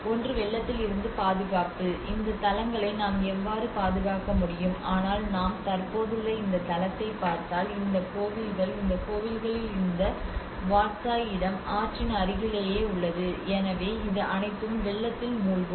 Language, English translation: Tamil, One is the protection from flooding, how we can protect this sites but if you look at this existing site if the river is just these temples have this Wat Chai place is just near to the so it all the whole thing gets flooded